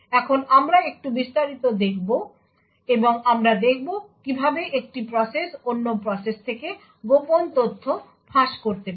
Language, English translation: Bengali, Now we will look a little more detail and we would see how one process can leak secret information from another process